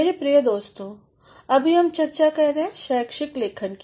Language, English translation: Hindi, My dear friends, presently we are discussing Academic Writing